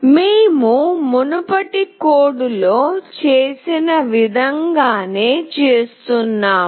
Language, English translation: Telugu, We are doing something very similar as in the previous code